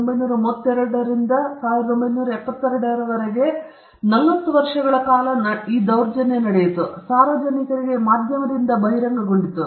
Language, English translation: Kannada, It has happened for forty years from 1932 to 1972, when it was exposed by the media to the public